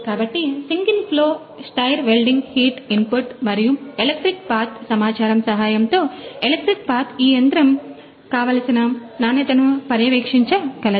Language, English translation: Telugu, So, with the help of these data such as the single flow stir welding heat input and electric path and electric path this machine can monitor given a quality